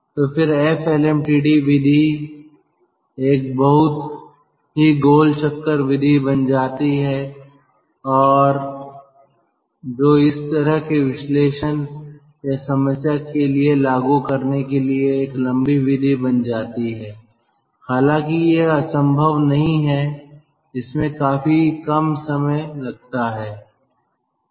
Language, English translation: Hindi, lmtd method becomes a very roundabout method, a tds method, not impossible to apply for those kind of analysis or problem, but it becomes little bit time consuming tds